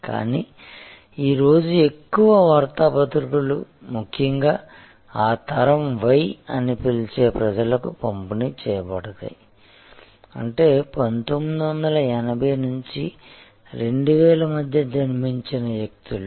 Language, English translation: Telugu, But, today more and more newspapers are delivered particularly to the people we call generation y; that means, people who have been, people who are born between 1980 to 2000